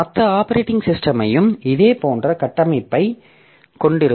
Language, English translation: Tamil, So, other operating system will also have similar such structure